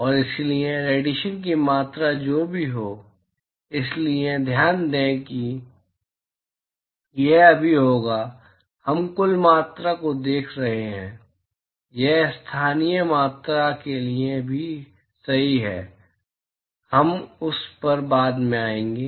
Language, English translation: Hindi, And therefore, whatever amount of radiation, so note that it will be right now we are looking at total quantity, this is true even for local quantities, we will come to that later